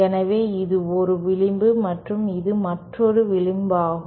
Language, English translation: Tamil, So, this is one edge and this is another edge